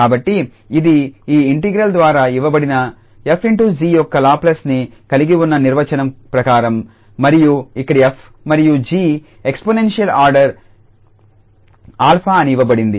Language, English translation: Telugu, So, this is as per the definition we have the Laplace of f star g that is given by this integral and here it is given that f and g are of exponential order alpha